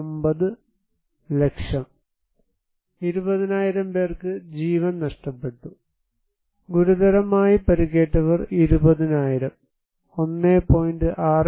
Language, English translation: Malayalam, 79 lakhs, human life lost was 20,000 around seriously injured 20,000, person injured 1